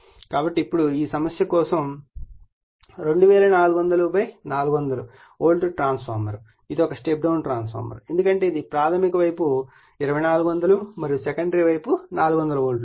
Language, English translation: Telugu, So, now, this is for this numerical a 2400 / 400 volt is a step down transformer because this is primary sidE2400 and secondary side 400 volts